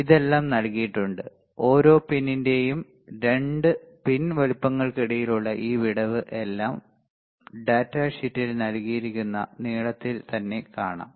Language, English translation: Malayalam, Everything is given everything is given you see this spacing between 2 pins size of each pin right the length everything is given in the data sheet